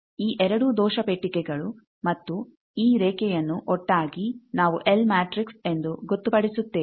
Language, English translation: Kannada, This whole, this two error box is and this line together that we are will designate as an L matrix